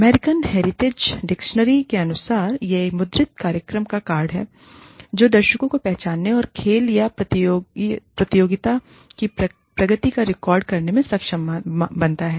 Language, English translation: Hindi, According to the American Heritage Dictionary, it is a printed program, or card, enabling a spectator, to identify the players, and record the progress of a game, or competition